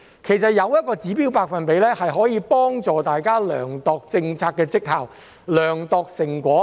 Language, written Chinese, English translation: Cantonese, 其實，設定指標百分比，可以幫助大家量度政策績效、成果。, In fact setting a target percentage can help us measure the performance and results of policies